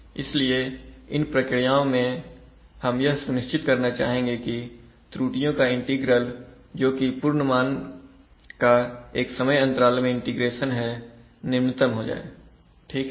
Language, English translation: Hindi, So for such a process we should rather try to ensure that the integral of the error that is absolute value of the error, integrated over time should be minimized, right